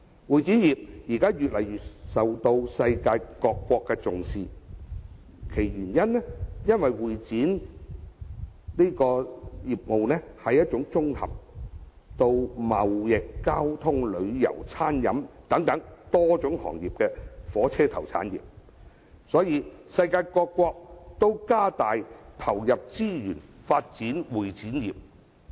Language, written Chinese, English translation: Cantonese, 會展業現在越來越受到世界各國重視，究其原因，是會展業是一種綜合了貿易、交通、旅遊、餐飲等多種行業的火車頭產業，所以世界各國都增加投入資源發展會展業。, This industry has now gained increasingly attention of the world . The reason is that it is a locomotive industry that incorporates various industries such as trading transportation tourism and catering . Many countries have put in increasing resources for developing the CE industry